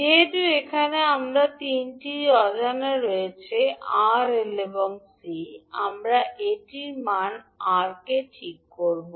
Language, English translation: Bengali, Since we have 3 unknown here R, L and C, we will fix one value R